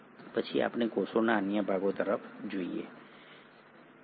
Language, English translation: Gujarati, Then we look at the other parts of the cells